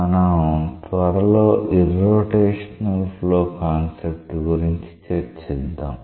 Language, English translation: Telugu, We will come into the concept of irrotational flow soon